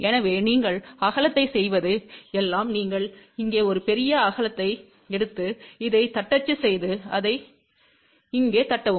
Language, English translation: Tamil, So, all you do width is you take a larger width here and taper rate down to this and taper rate down to this here